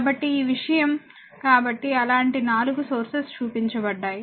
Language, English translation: Telugu, So, this thing so, there are 4 such sources you have shown